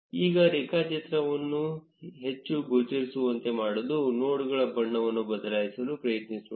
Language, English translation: Kannada, Now to make the graph more visible, let us try changing the color of the nodes